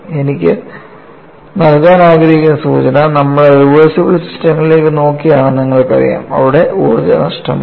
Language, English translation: Malayalam, And the clue what I want to give is, you know we are looking at reversible systems, there are no energy loss